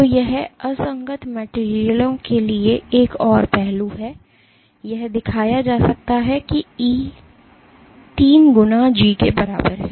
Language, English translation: Hindi, So, this this is another aspect for incompressible materials, it can be shown that E is equal to three times G